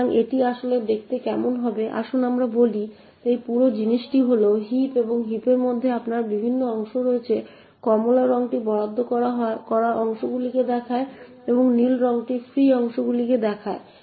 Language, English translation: Bengali, say this entire thing is the heap and within the heap you have various chunks the orange color shows the allocated chunks and the blue color shows the free chunks